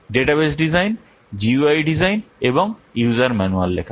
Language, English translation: Bengali, What are the design database, design UI and write user manual